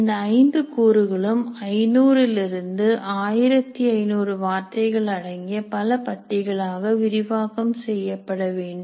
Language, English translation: Tamil, So all these elements, these five elements should be elaborated into several paragraphs leading to 500 to 1,500 words